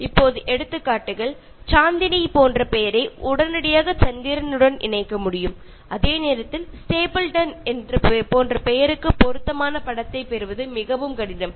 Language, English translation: Tamil, Now examples like, a name like Chandini can be associated with moon immediately, while for a name like Stapleton it is very difficult to get an appropriate image